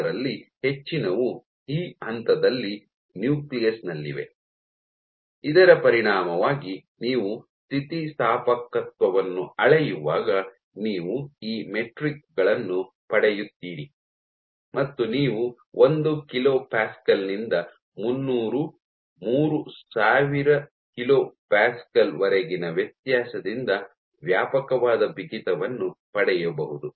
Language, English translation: Kannada, So, most of it is in the nucleus at this point; as a consequence of this when you do measure electricity and you get these metrics you might get a wide range of stiffness varying from as low as 1 kilo Pascal to as high as 300, 3000 kilo Pascal